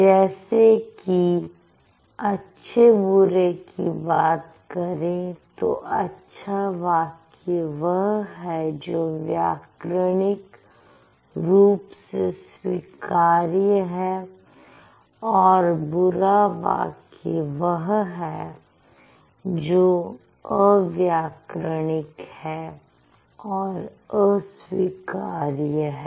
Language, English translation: Hindi, So, when you say good or bad, a good sentence is grammatical, is acceptable, and a bad sentence is ungrammatical, unacceptable